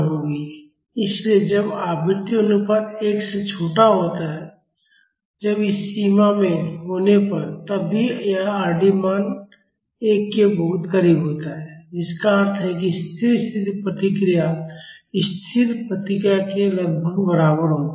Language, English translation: Hindi, So, when the frequency ratio is smaller than one when it is in this range, then also this Rd value is very close to 1 which means the steady state response is approximately equal to the static response